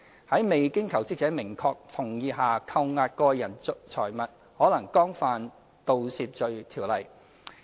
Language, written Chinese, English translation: Cantonese, 在未經求職者明確同意下扣押個人財物，可能干犯《盜竊罪條例》。, Withholding the property of jobseekers without their explicit consent may constitute an offence under the Theft Ordinance